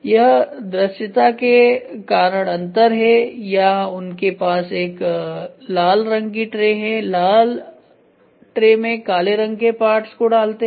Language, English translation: Hindi, So, this is a contrast difference or they have a red tray, in the red tray they put the black parts